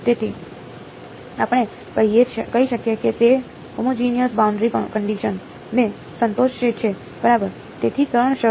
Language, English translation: Gujarati, So, it we can say that it satisfies homogeneous boundary conditions ok, so three conditions